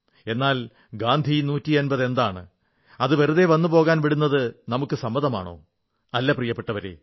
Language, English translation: Malayalam, But should Gandhi 150 just come & go; will it be acceptable to us